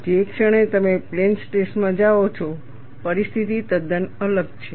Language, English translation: Gujarati, And the moment you go to plane stress, the situation is quite different